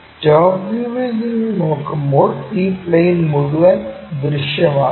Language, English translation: Malayalam, When we are looking from top view this entire plane will be visible